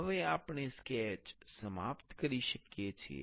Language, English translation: Gujarati, Now, we can finish the sketch